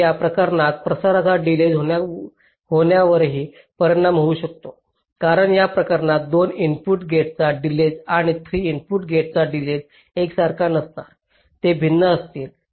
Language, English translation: Marathi, so this kind of a transmission may also have an impact on the delay, because in this case the delay of a two input gate and a delay of three input gate will not be the same, they will be different